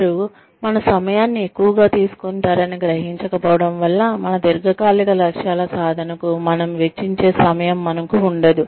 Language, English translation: Telugu, Not realizing that, they would take up, so much of our time, that the time, we could have spent on achieving our long term goals, is being taken away